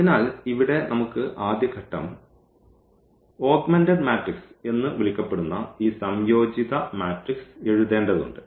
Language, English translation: Malayalam, So, here we have first that will be the first step that we have to write this combined matrix or so called the augmented matrix in this form